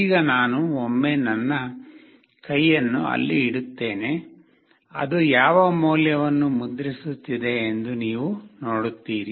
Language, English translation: Kannada, Now I will put my hand there once, you see what value it is getting printed